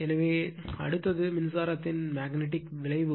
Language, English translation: Tamil, So, next is your the magnetic effects of electric current